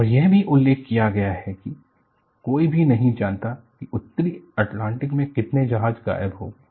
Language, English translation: Hindi, And it is also mentioned that, no one know exactly how many ships just disappeared in North Atlantic